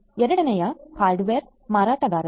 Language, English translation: Kannada, Second is the hardware vendors